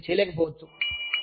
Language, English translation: Telugu, Some people, may not be able to do it